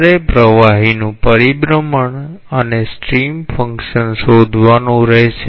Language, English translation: Gujarati, You have to find out the fluid rotation and the stream function